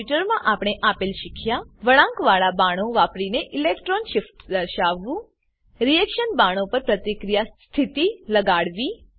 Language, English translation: Gujarati, In this tutorial we have learnt to * Show electron shifts using curved arrows * Attach reaction conditions to reaction arrows